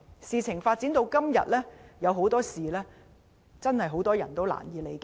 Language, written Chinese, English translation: Cantonese, 事件發展至今，有很多事情真的難以理解。, In view of the development of the incident so far there are many things about it that are really unfathomable